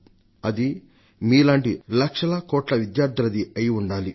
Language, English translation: Telugu, And there must be crores of students like you